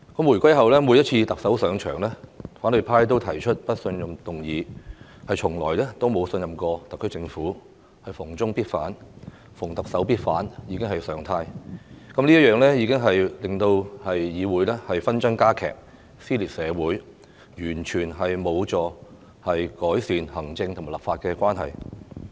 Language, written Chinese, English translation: Cantonese, 回歸後，每一任特首上場，反對派都提出不信任議案，從來沒有信任過特區政府，逢中必反，逢特首必反已成常態，這樣只會令議會紛爭加劇，撕裂社會，完全無助改善行政和立法關係。, They have never had any confidence in the SAR Government . Opposing China and opposing the Government on every front has become the norm . This will only intensify the disputes in the Council and tear society apart which is certainly not helpful to improving the relationship between the executive and the legislature